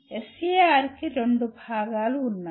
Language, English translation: Telugu, SAR has two parts